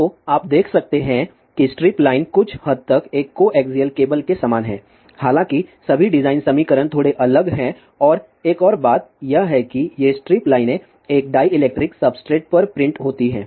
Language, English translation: Hindi, So, you can see that the strip line is somewhat similar to a coaxial cable ; however, all the design equations as slightly different and another thing is that these strip lines are printed on a dielectric substrate